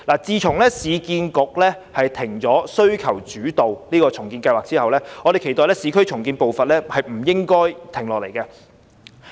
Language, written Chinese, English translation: Cantonese, 自從市建局暫停需求主導重建計劃後，我們期待市區重建的步伐亦不應因此而停下來。, Since URAs suspension of demand - led renewal projects we hope that urban renewal would not come to a stop